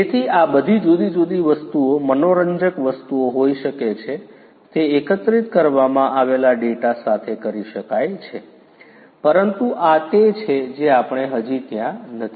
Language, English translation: Gujarati, So, all of these different things can be fascinating things can be done with the data that are collected, but this is we are still not there yet